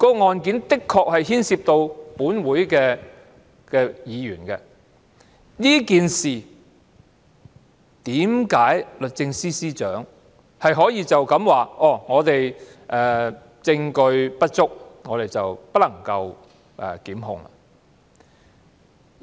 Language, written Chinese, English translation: Cantonese, 案件的確牽涉立法會議員，為何律政司司長可以只回應這件事證據不足，不能檢控？, The case indeed involves a Member of the Legislative Council . How could the Secretary for Justice only respond that they would not prosecute due to insufficient evidence?